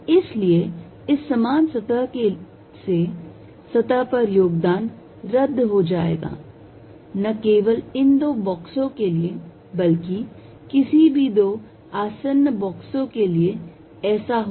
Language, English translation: Hindi, So, the contribution on the surface from this common surface will cancels, not only this two boxes any two adjacent box will happen